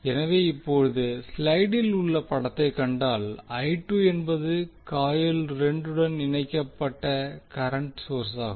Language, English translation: Tamil, So if you see the figure in the slide now I2 is the current source connected to the coil 2